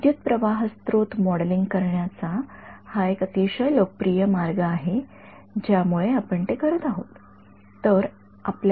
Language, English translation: Marathi, It is a very popular way of modeling a current source that is the reason we are doing it ok